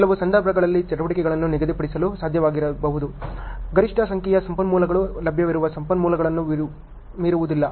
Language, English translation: Kannada, In some cases it may not be possible to schedule the activities so, that the maximum number of resources does not exceed the available resources